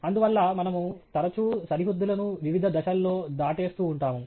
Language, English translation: Telugu, Therefore, we are often pushing the boundaries in various different directions